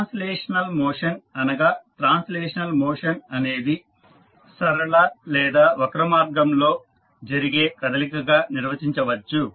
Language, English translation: Telugu, So, the translational motion, we can say that the motion of translational is defined as the motion that takes place along a straight or curved path